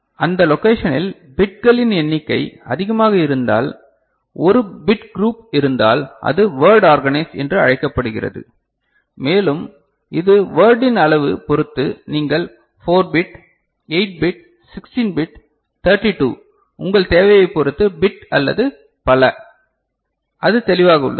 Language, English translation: Tamil, And in that location if number of bits are there ok, a group of bits are there then it is called word organized and it is the size of the word, depending on which you will be having 4 bit, 8 bit, 16 bit, 32 bit or so on and so forth depending on your requirement, is it clear